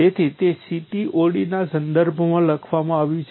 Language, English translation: Gujarati, So, it is written in terms of the CTOD